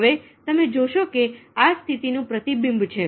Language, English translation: Gujarati, now, you see that this is the mirroring of positions